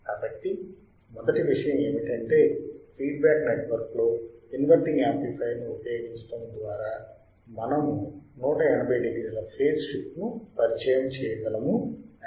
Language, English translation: Telugu, So, first thing we understood that inverting amplifier then what we are to use a feedback network which can introduce 180 degree phase shift